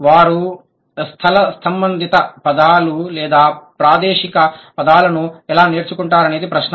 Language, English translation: Telugu, The question is, how do the acquire the space related terms or the spatial terms